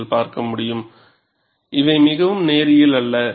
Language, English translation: Tamil, You could see it is highly non linear